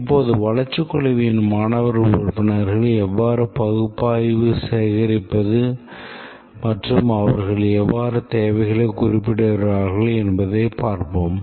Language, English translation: Tamil, Now let's see how the student members of the development team they went about gathering, analyzing and specifying the requirement